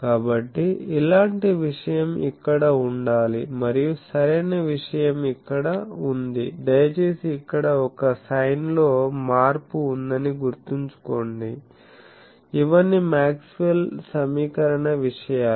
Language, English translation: Telugu, So, similar thing should be here and that correct thing is here please remember that there is a sign change here, these are all for Maxwell’s equation thing Now, this is equivalence principle followed